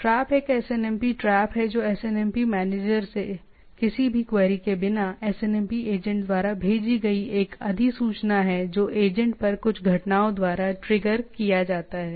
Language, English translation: Hindi, Trap is a SNMP trap is a notification sent by the SNMP agent without any query from the SNMP manager to a SNMP manager which triggered by certain events at the agent